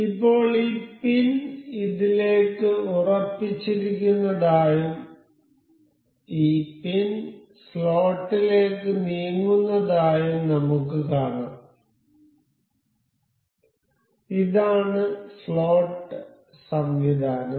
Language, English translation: Malayalam, Now, you can see this pin is fixed into this and this pin can also move on to the slot, this was slot mechanism